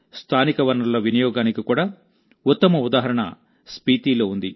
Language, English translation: Telugu, The best example of utilization of local resources is also found in Spiti